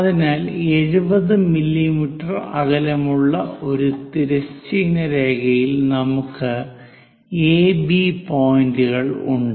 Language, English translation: Malayalam, So, AB points on a horizontal line; these are 70 mm apart